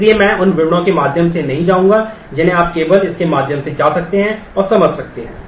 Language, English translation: Hindi, So, I will not go through the details you can just go through this and understand that